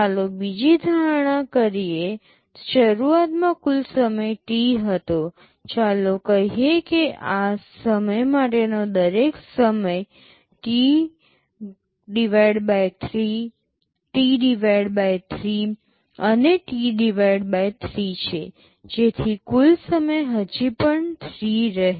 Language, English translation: Gujarati, Let us make another assumption; the total time early was T, let us say for each of these time is T/3, T/3 and T/3, so that the total time still remains T